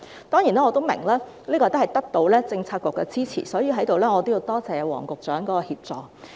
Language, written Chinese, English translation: Cantonese, 當然，我也明白，這是得到政策局的支持，所以在此我要多謝黃局長的協助。, Certainly I understand that this is supported by the Policy Bureau . So here I wish to thank Secretary Michael WONG for his assistance